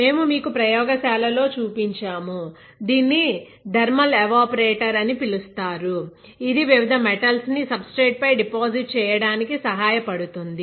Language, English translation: Telugu, And this equipment that we will be; we have shown you in the lab is called thermal evaporator, it will help you to deposit different metals onto the substrate